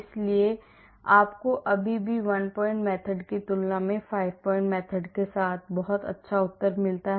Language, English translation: Hindi, So, you still get very good answer with the 5 point method when compared to the one point method